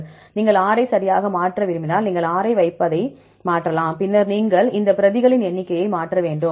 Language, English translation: Tamil, If you want to change replicate R you put R right then you will you can change you put R then you have to change the number of replicates